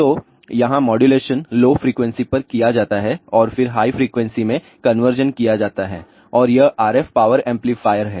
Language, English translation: Hindi, So, here modulation is done at lower frequency and then conversion is done to the higher frequency and this is the RF power amplifier